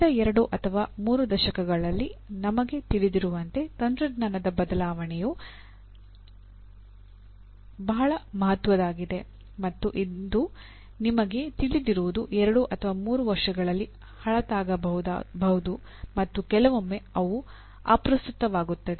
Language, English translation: Kannada, As we know in the last two or three decades, the rate of change of technology has been very significant and what you know today, may become outdated in two or three years and also sometimes irrelevant